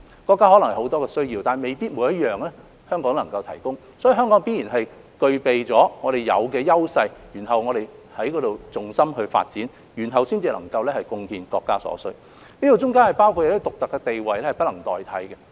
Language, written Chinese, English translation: Cantonese, 國家可能有很多需要，但未必每一項香港都能夠提供。因此，香港必然在具備自身優勢的方面作重心發展，然後才能夠貢獻國家所需，當中包括一些獨特地位是不能代替的。, The country may have various needs and Hong Kong cannot necessarily meet all of them we must therefore focus our development on what we are good at in order to contribute what the country needs which includes certain status that are unique and irreplaceable